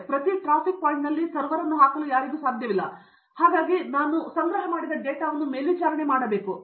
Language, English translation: Kannada, I cannot put a server at every traffic point, suppose I am monitoring the data